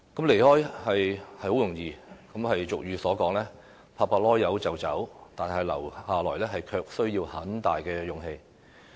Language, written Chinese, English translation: Cantonese, 離開是很容易，俗語有云：拍拍屁股就走，但留下來卻需要很大的勇氣。, Departure is easy . As the saying goes it takes little effort for one to leave but it takes a great deal of courage to stay